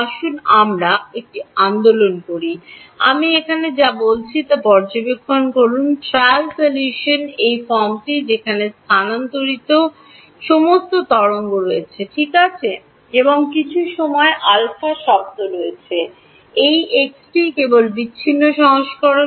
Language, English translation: Bengali, Let us take a movement to observe this what am I saying over here, the trial solution is of this form where there is a wave in space all right and there is some alpha term in time this x is simply the discretize version